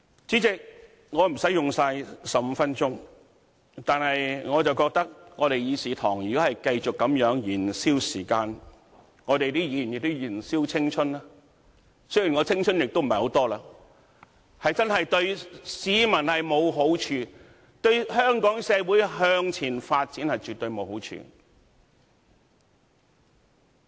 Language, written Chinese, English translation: Cantonese, 主席，我無需盡用15分鐘，但我認為議事堂如果繼續這樣燃燒時間，議員也在燃燒青春——雖然我的青春所餘無幾——這樣真的對市民沒有好處，對香港社會向前發展絕對沒有好處。, President I need not use up my 15 minutes but I consider that if this Council keeps on burning the time and Members keep on burning their youth―although I am not young any more―this will do no good to the public and this will do no good to the forward development of Hong Kong